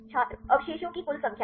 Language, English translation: Hindi, total no of residues